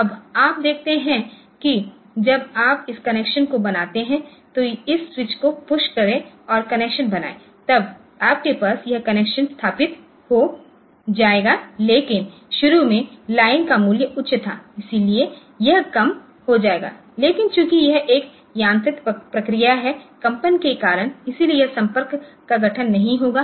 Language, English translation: Hindi, Now, you see that when you make this connection, about push this switch and make the connection then you have then this connection will be established, but initially the value of the line was high so it will become low but since it is a mechanical process due to vibrations, so this contact will not be farm